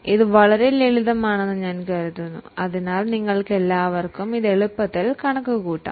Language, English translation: Malayalam, I think it is very simple so all of you can calculate it orally